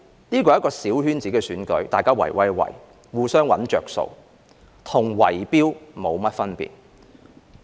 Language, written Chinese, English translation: Cantonese, 這是一個小圈子選舉，大家"圍威喂"，互相"搵着數"，與"圍標"沒甚麼分別。, This is a small - circle election where cronies get together and seek advantages from each other . It is no different from bid - rigging